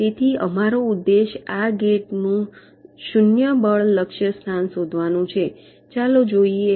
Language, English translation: Gujarati, so our objective is to find out these zero force target location of this gate